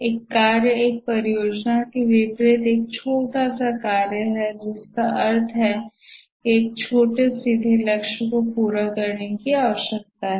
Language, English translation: Hindi, A task in contrast to a project is a small piece of work meant to accomplish a straightforward goal rather trivial